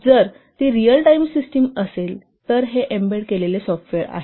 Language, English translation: Marathi, So, if it is a real time system means this an embedded software